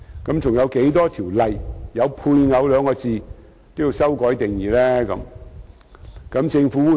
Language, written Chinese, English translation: Cantonese, 還有多少項包含"配偶"兩字的條例也要修改定義呢？, How many more ordinances with references to spouse will need to have their relevant definitions amended?